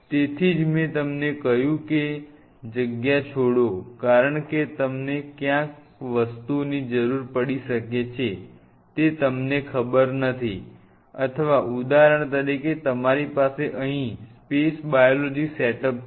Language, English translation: Gujarati, So, that is why I told you that leave space you do not know where you may be needing things or say for example, you may need to say for example, you have a space biology setup out here